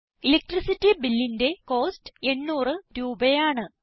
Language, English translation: Malayalam, The cost for the Electricity Bill is rupees 800